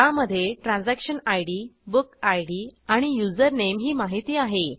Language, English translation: Marathi, It has details like Transaction Id, Book Id and Username